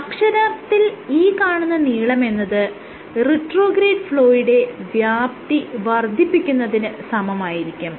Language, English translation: Malayalam, So, actually this length should be, the same the magnitude of the retrograde flow is extended